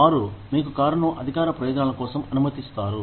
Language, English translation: Telugu, We will let you use the car, for official and personal purposes